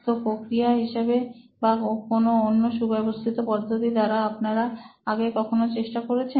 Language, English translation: Bengali, So in terms of process or in terms of some kinds of systematic way, have you guys attempted something in the past